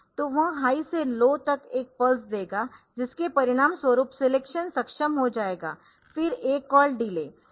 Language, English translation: Hindi, So, that will give a pulse from high to low as a result the selection will be enabled then this a called delay